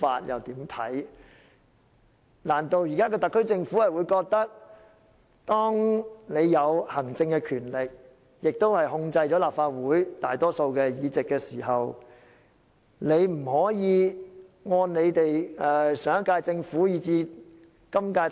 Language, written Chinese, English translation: Cantonese, 現時特區政府擁有行政權力，亦控制了立法會大多數的議席，難道有所質疑政府就不能達到上屆以至今屆的成績嗎？, The Government is vested with executive powers and now controls the majority seats in the Legislative Council . Did raising doubts forbid the last - term and current - term Governments to achieve results? . The Government did still achieve remarkable results